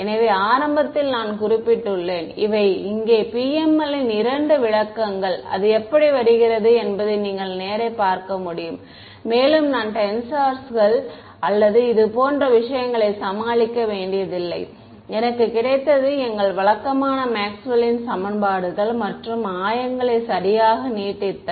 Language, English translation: Tamil, So, in the very beginning I had mentioned that, these are the two interpretations of PML over here you can see straight away how it is coming right and I did not have to deal with tensors or any such things, I got is just by using our usual Maxwell’s equations and stretching the coordinates right